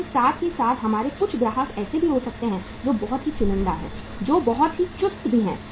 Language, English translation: Hindi, But at the same time we can have some of the customers who are very very selective also, who are very very choosy also